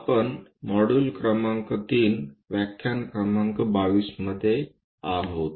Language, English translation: Marathi, We are in module number 3, lecture number 22